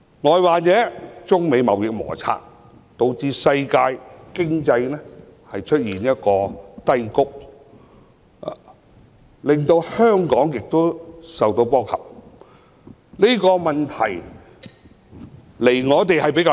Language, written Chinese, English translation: Cantonese, 外患者，是指中美貿易摩擦，導致世界經濟陷於低谷，香港亦受波及，但這個問題離我們比較遠。, External troubles refer to the global economic recession caused by the Sino - United States trade conflicts in which Hong Kong is also affected . Nevertheless this issue is rather distant from us